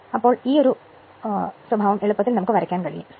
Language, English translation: Malayalam, So, this characteristic, you can easily draw